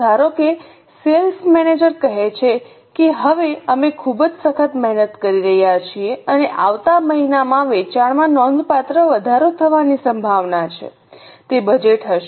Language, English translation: Gujarati, Suppose a sales manager says that now we are working very hard and the sales are likely to increase substantially in the next month